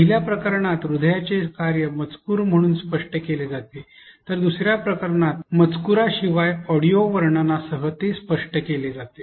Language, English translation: Marathi, In the first case the functioning is explained as a text while in the second case it is explained along with an audio narration without a text